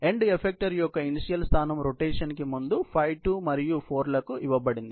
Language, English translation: Telugu, The initial position of the end effector before rotation, is given to a 5, 2 and 4